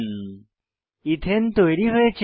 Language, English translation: Bengali, Ethane is formed